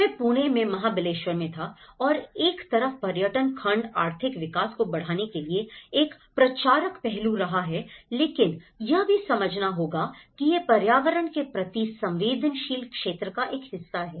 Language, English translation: Hindi, I was in Mahabaleshwar in Pune and on one side the tourism segment is been a promotive aspect to raise economic growth but one has to understand it is also part of the eco sensitive zone